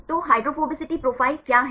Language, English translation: Hindi, So, what is hydrophobicity profile